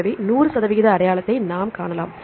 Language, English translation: Tamil, So, we can see the 100 percent identity